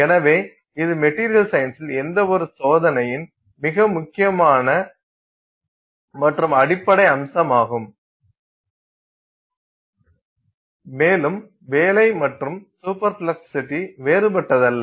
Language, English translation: Tamil, So, that is a very important and, you know, fundamental aspect of any experimental, you know, any activity in material science and I mean work in superplasticity is no different